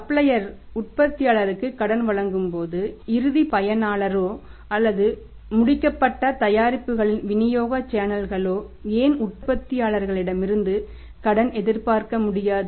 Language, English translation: Tamil, When the suppliers are giving the credit to the manufacturer why not the final user or channels of distribution of finished products can expect the credit from the manufacturer